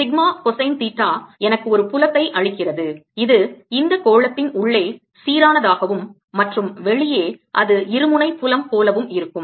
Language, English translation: Tamil, and you recall that sigma cosine theta gives me a field which is uniform field inside this sphere and outside it'll be like a dipole field